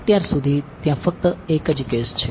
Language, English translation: Gujarati, So, far there is only one case